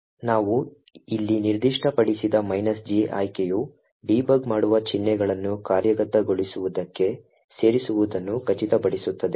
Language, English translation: Kannada, The minus G option that we specified over here ensures that debugging symbols get added into the executable